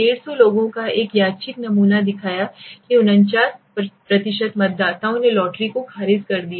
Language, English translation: Hindi, A random sample of 150 people showed that 49% of voters rejected the lotteries